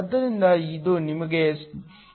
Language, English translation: Kannada, So, this gives you 0